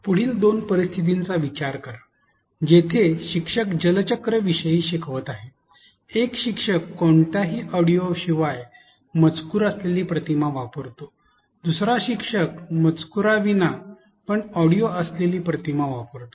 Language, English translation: Marathi, Consider the following two scenarios where the teacher is teaching about the water cycle; one teacher uses an image with an on screen text without any audio, the other teacher uses image and narration without on screen text